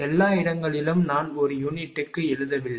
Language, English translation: Tamil, Everywhere I have not written per unit